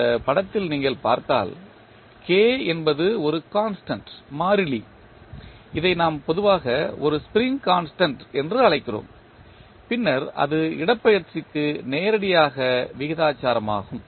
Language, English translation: Tamil, If you see in this figure, K is one constant which we generally call it a spring constant and then it is directly proportional to the displacement